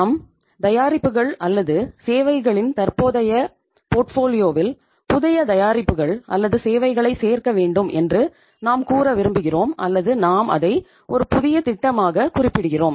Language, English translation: Tamil, We want to have say add new products or services into our existing portfolio of the products or services or we want to do something which you call it as, term it as, as a new project